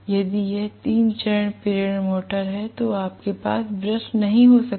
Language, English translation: Hindi, If it is a three phase induction motor, you cannot have brushes